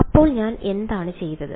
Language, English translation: Malayalam, So, what I have done